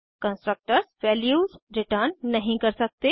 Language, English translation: Hindi, Constructors cannot return values